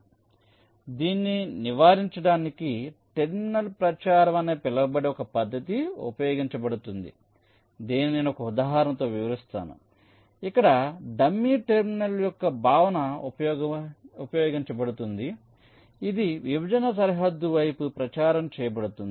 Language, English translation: Telugu, ok, so to avoid this, a method called terminal propagation is used, which i shall be illustrating with an example, where the concept of a dummy terminal is used which is propagated towards the partitioning boundary